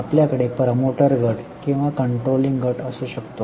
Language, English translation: Marathi, You may have a promoter group or a controlling group